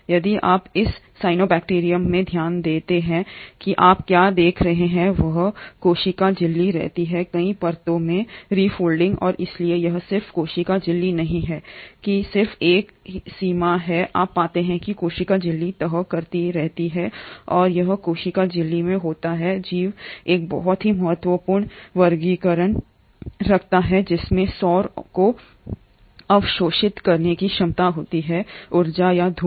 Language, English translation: Hindi, If you notice in this cyanobacterium what you observe is the same cell membrane keeps on refolding into multiple layers and so it is not just the cell membrane which is just a single boundary, you find that the cell membrane keeps on folding and it is in these cell membrane that the organism houses a very important pigment which has a potential to absorb solar energy or sunlight